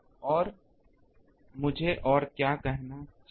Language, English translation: Hindi, And what else I need to say